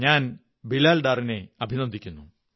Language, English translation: Malayalam, I congratulate Bilal Dar